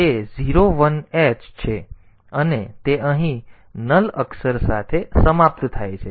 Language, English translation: Gujarati, So, it is 01h and it is terminated with a null character here